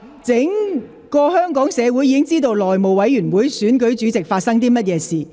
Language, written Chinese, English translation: Cantonese, 全港市民已經知道內務委員會選舉主席過程中發生了甚麼事。, The whole of Hong Kong have learned what happened in the course of election of the Chairman of the House Committee